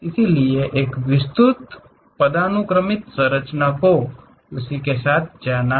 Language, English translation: Hindi, So, a detailed hierarchical structure one has to go with that